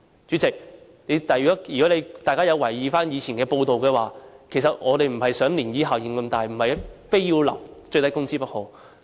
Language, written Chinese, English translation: Cantonese, 主席，如果大家有留意以往的報道，便知道我們並不想漣漪效應這麼大，不是非要訂立最低工資不可。, President if Members have noted pervious reports they will know that we did not wish to see such a significant ripple effect and we did not demand nothing but minimum wage